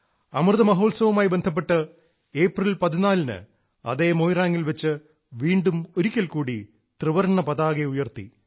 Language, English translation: Malayalam, During Amrit Mahotsav, on the 14th of April, the Tricolour was once again hoisted at that very Moirang